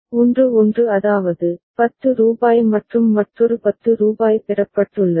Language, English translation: Tamil, 1 1 that means, rupees 10 and another rupees 10 has been received